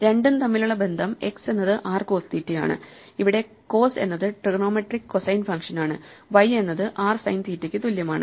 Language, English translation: Malayalam, The connection between the two is that x is r cos theta where cos is the trigonometric cosine function; y is equal to r sin theta